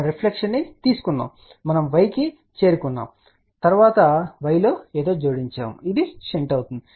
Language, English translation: Telugu, We took the reflection, we reach to y and then we added something in y which was shunt